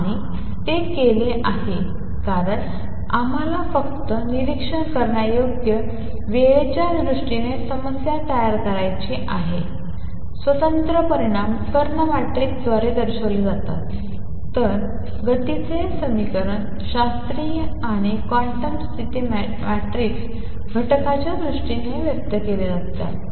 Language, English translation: Marathi, And that is done because we want to formulate problem only in terms of observables time independent quantities are represented by diagonal matrices, then equation of motion is classical and quantum condition expressed in terms of the matrix elements